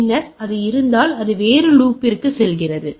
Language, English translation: Tamil, And then if there is and it goes on in different loop